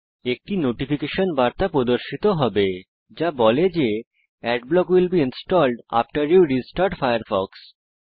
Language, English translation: Bengali, A notification message will be displayed which says, Adblock will be installed after you restart Firefox